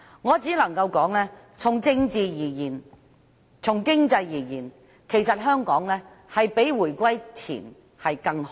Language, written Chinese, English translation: Cantonese, 我只能說，從政治及經濟而言，其實香港比回歸前更好。, All I can say is that the current situation of Hong Kong is better than what it was before the reunification whether politically or economically